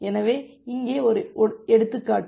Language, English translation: Tamil, So, here is an example